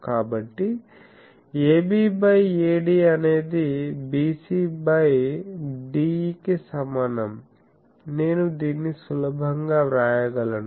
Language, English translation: Telugu, So, AB by AD is equal to BC by DE, I can easily write this